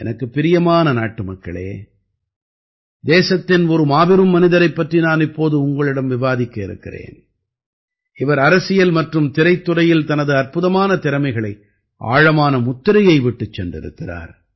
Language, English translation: Tamil, My dear countrymen, I am now going to discuss with you about a great personality of the country who left an indelible mark through the the strength of his amazing talent in politics and the film industry